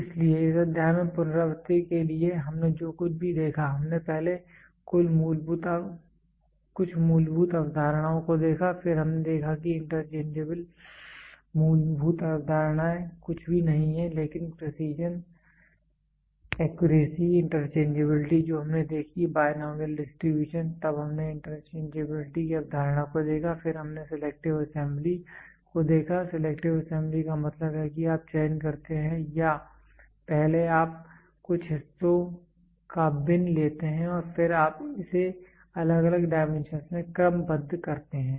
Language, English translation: Hindi, So, to recapitulate in this chapter what all did we see first we saw some fundamental concepts, then we saw interchangeable fundamental concepts are nothing, but precision, accuracy, interchangeability we saw, the binominal distribution then we saw the concept of interchangeability, then we saw selective assembly selective assembly means you select or first you take a complete bin of us parts and then you sort it out to varying dimensions